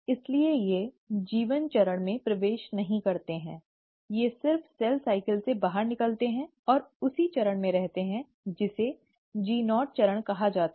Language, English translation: Hindi, So they do not even enter the G1 phase, they just exit the cell cycle and they stay in what is called as the G0 phase